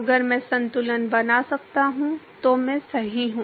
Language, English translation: Hindi, If I can make a balance I am done right